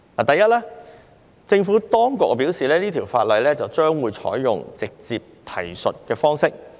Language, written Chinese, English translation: Cantonese, 第一，政府當局表示，《條例草案》會採用直接提述的方式。, First the Administration says that the Bill will adopt a direct reference approach